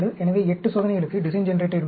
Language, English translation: Tamil, So, you have a design generator for 8 parameters